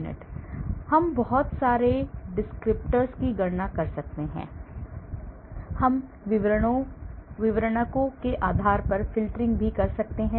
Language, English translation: Hindi, And so we can do a lot of descriptor calculations we can even do filtering based on the descriptors